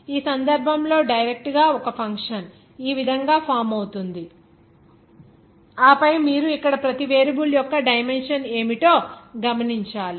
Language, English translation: Telugu, In this case, directly just one function to be formed like this and then you have to note down what are the dimensions of each variable here